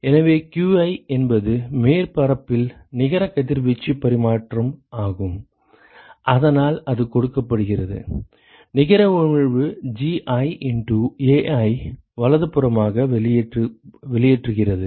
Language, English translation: Tamil, So qi which is the net radiation exchange at the surface, so that is given by, whatever is emitted net emission minus Gi into Ai right